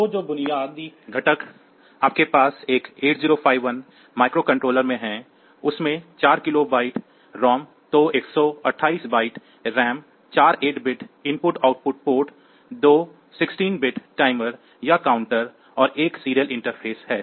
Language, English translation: Hindi, So, the basic components that you have in a microcontroller 8051 microcontroller it has got 4 kilobytes of ROM then 128 bytes of RAM 4 8 bit IO ports 2 16 bit timers or counters and 1 serial interface